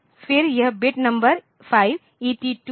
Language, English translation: Hindi, Then this bit number 5 is the ET2